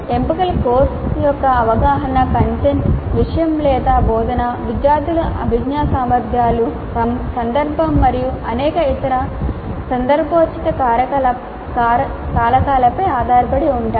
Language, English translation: Telugu, The choices are based on our perception of the course, the content, the subject, our instruction, cognitive abilities of the students, context and many other contextual factors